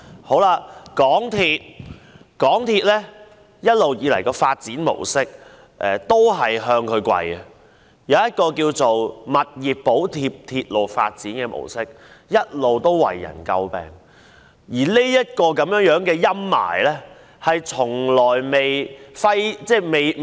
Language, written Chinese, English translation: Cantonese, 香港鐵路有限公司一直以來的發展模式，亦是向它下跪，以物業補貼鐵路發展的模式向來為人詬病，而這陰霾一直揮之不去。, Kneeling down is also the prevailing development approach of the MTR Corporation Limited MTRCL . The approach of subsidizing railway development with property development has long been criticized and this spectre has never gone away